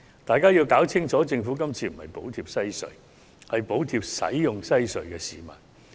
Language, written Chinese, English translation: Cantonese, 大家必須弄清楚，政府今次不是補貼西隧，而是補貼使用西隧的市民。, We have to make it clear that under the proposal what the Government is subsidizing is not WHC but users of the road harbour crossing